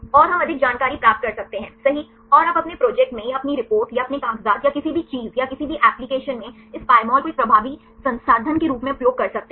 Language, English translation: Hindi, And we can get more information right and you can use this Pymol right as an effective resource right in your project or in your reports or your papers or anything or any applications